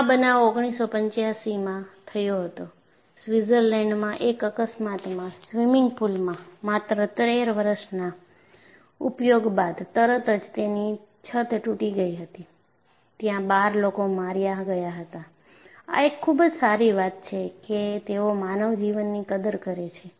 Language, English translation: Gujarati, So, what happen was in 1985, there was an accident in Switzerland, in a swimming pool, the roof collapsed after only 13 years of use; there were 12 people killed; it is very nice, they value the human life's and they take this as a challenge, to look at what was the cause for this kind of an accident